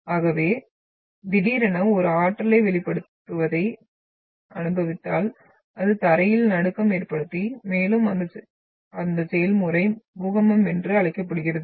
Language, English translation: Tamil, So if you experience the sudden release of an energy that will result into the ground shaking and that process is termed as an earthquake